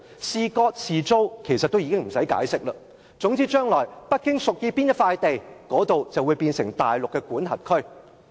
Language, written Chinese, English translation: Cantonese, 是割地還是租地其實已不用解釋，總之將來北京屬意哪一塊地，那裏就會成為大陸的管轄區。, It may cede or lease the piece of land but this does not really matter . In the future so long as a site is chosen by Beijing it will be placed under Mainlands jurisdiction